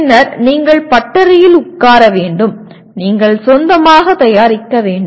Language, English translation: Tamil, And then you have to sit in the workshop and you have to produce your own